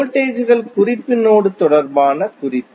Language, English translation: Tamil, The voltages are reference with respect to the reference node